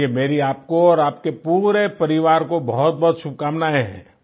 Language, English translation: Hindi, Good wishes to you and family